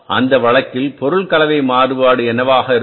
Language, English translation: Tamil, So, it means in this case what is the material mix variance